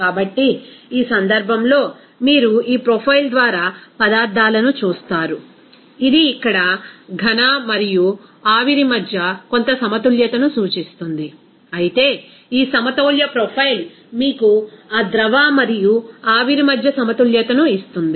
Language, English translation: Telugu, So, in this case, you will see substances by this profile, it will be representing as some equilibrium between here solid and vapor, whereas this equilibrium profile will give you that equilibrium between that liquid and vapor